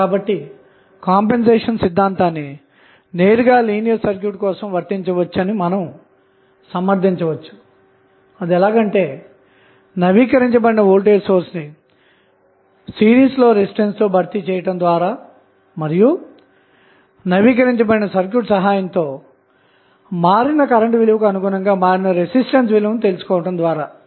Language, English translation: Telugu, So, this you can justify that the compensation theorem can be directly applied for a linear circuit by replacing updated voltage source in series with the resistance where the change of delta is happening and find out the value directly the change in the value of current directly with the help of updated circuit